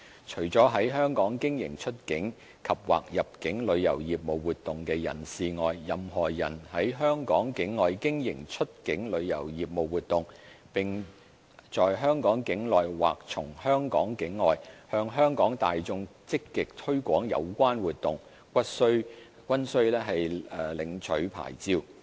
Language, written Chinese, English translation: Cantonese, 除了在香港經營出境及/或入境旅遊業務活動的人士外，任何人在香港境外經營出境旅遊業務活動，並在香港境內或從香港境外，向香港大眾積極推廣有關活動，均須領取牌照。, Besides those who carry on any outbound andor inbound travel business activities in Hong Kong any persons who carry on any outbound travel business activities at a place outside Hong Kong and actively market whether in Hong Kong or from a place outside Hong Kong to the public of Hong Kong any such activities will be required to obtain licences